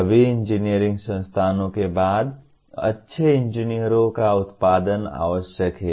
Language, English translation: Hindi, After all engineering institutions are required to produce good engineers